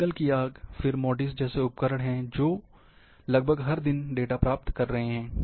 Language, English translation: Hindi, Forest fire, there are the satellites, which are acquiring data almost every day, like Modis